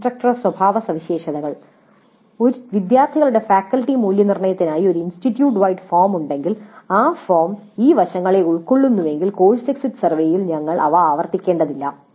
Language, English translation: Malayalam, Then instructor characteristics as I mentioned if there is an institute wide form for faculty evaluation by students and if that form covers these aspects then we don't have to repeat them in the course exit survey